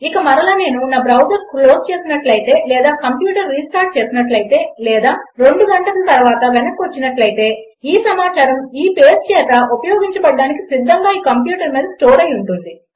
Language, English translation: Telugu, And again if I close my browser or restart my computer or come back two hours later, this information will still be there stored on this computer ready to be used by this page